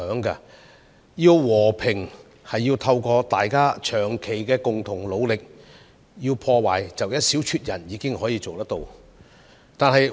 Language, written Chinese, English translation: Cantonese, 如要和平便須透過大家長期共同努力，但說到破壞則只需一小撮人便可做到。, Peace cannot be achieved without joint efforts of all parties over a long time but when it comes to destruction only a handful of people are needed to do it